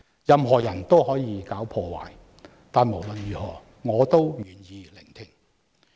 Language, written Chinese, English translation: Cantonese, 任何人都可以搞破壞，但無論如何，我也願意聆聽。, Anyone can engage in sabotage but at any rate I am willing to lend them my ear